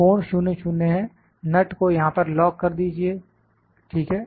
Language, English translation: Hindi, The angle is 00, lock the nut here, ok